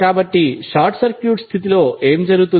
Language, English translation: Telugu, So what will happen under a short circuit condition